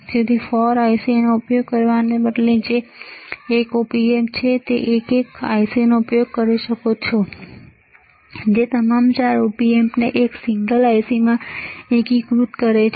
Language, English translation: Gujarati, So, instead of using 4 ICs which is single Op Amp, you can use one single IC which are all 4 Op Amps integrated into one single IC